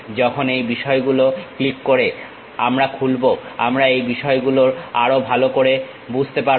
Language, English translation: Bengali, When we are opening clicking the things we will better understand these things